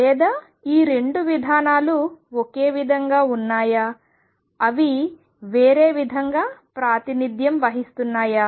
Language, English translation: Telugu, Or are these 2 approaches the same they are just represented in a different way